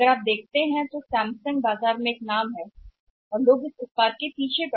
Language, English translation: Hindi, If you can Samsung Samsung is a name in the market and people are after the product